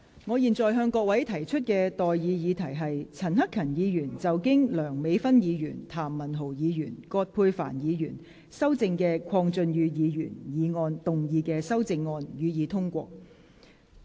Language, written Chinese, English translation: Cantonese, 我現在向各位提出的待議議題是：陳克勤議員就經梁美芬議員、譚文豪議員及葛珮帆議員修正的鄺俊宇議員議案動議的修正案，予以通過。, I now propose the question to you and that is That Hon CHAN Hak - kans amendment to Mr KWONG Chun - yus motion as amended by Dr Priscilla LEUNG Mr Jeremy TAM and Dr Elizabeth QUAT be passed